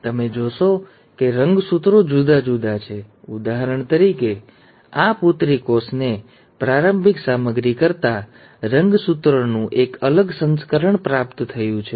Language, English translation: Gujarati, Now you will notice that the chromosomes are different; for example this daughter cell has received a different version of the chromosome than the starting material